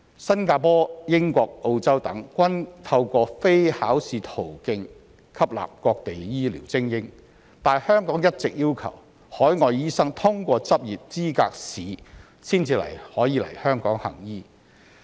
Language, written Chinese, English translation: Cantonese, 新加坡、英國、澳洲等，均透過非考試途徑吸納各地醫療精英，但香港一直要求海外醫生通過執業資格試才能來港行醫。, Countries such as Singapore the United Kingdom and Australia try to attract medical elites around the world by offering them non - examination pathways but Hong Kong has all along required overseas doctors to pass the Licensing Examination before they can come to practise in Hong Kong